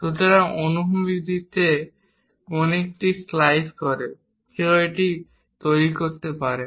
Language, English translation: Bengali, So, slicing the cone in the horizontal direction, one can make it